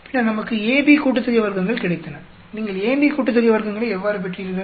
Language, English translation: Tamil, Then, we got AB sum of squares, how did you get the A B sum of squares